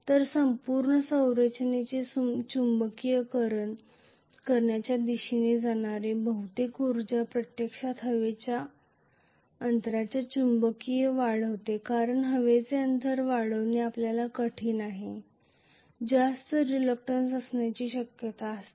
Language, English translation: Marathi, So most of the energy that is going towards magnetising the entire structure goes into actually magnetizing the air gap because the air gap is difficult to magnetize you are going to have higher and higher reluctance